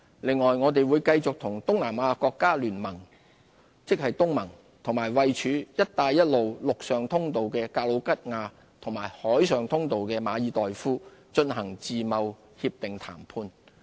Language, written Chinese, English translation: Cantonese, 此外，我們會繼續與東南亞國家聯盟和位處"一帶一路""陸上通道"的格魯吉亞及"海上通道"的馬爾代夫進行自貿協定談判。, In addition we will continue our FTA negotiations with the Association of Southeast Asian Nations ASEAN as well as Georgia on the land route and Maldives on the maritime route under the Belt and Road Initiative